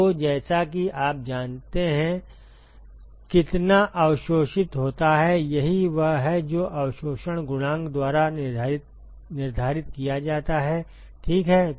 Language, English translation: Hindi, So, as you go how much is absorbed, that is what is quantified by absorption coefficient ok